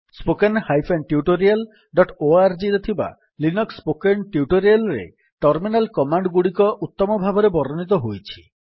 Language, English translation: Odia, Terminal commands are explained well in the Linux spoken tutorials in http://spoken tutorial.org